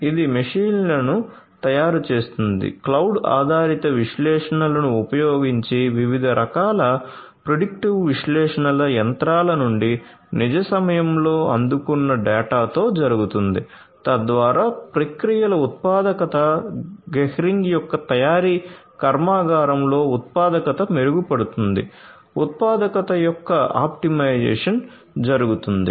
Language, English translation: Telugu, Gehring is in the space of connected manufacturing it makes honing machines, using cloud based analytics different types of predictive analytics is done with the data that are received from the machines in real time, thereby the productivity of the processes productivity in the manufacturing plant of Gehring is improved the optimization of productivity is done and so on